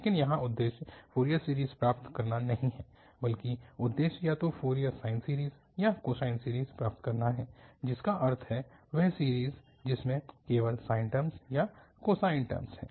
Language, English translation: Hindi, But here the aim is not to have the Fourier series but aim is to have either Fourier sine series or cosine series, meaning the series which has only sine terms or cosine terms